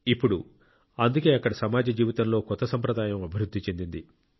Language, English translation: Telugu, Now that is why, a new tradition has developed in the social life there